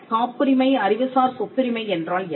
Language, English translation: Tamil, what is a patent intellectual property rights